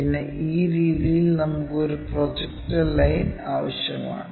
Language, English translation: Malayalam, And, then we require a projector line in this way